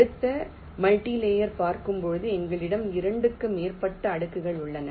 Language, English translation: Tamil, and next, when we look at multilayer, routing means we have more than two layers available with us